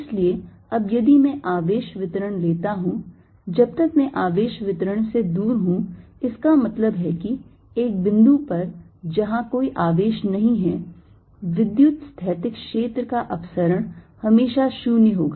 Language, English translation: Hindi, so now, if i take charge distribution, as long as i am away from the charge distribution, that means at a point, at a point where there is no charge, diversions of electrostatic field will always be zero